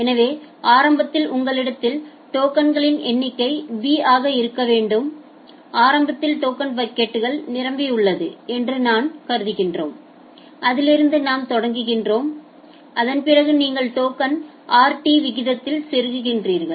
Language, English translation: Tamil, So, initially you have be number of token initially we are assuming that the token bucket is full from that point we are starting after that you are inserting token at a rate of rt